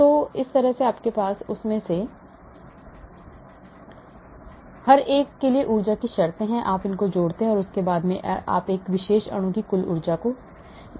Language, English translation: Hindi, So you have energy terms for each one of them, you add up and then you get the total energy of this particular molecule